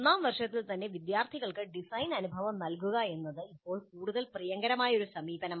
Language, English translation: Malayalam, A more forward favored approach currently is to provide design experience to the students in the first year itself